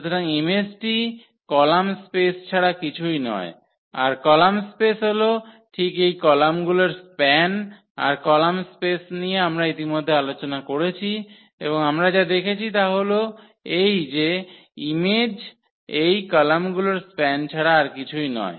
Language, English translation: Bengali, So, the image is nothing but image is nothing but the column the column space the column spaces exactly the span of these columns that is the column space we have already discussed and what we have observed that the image is nothing but the span of these columns